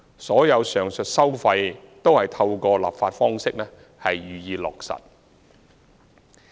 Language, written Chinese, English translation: Cantonese, 所有上述收費均透過立法方式予以落實。, All the above mentioned tolls were effected through legislation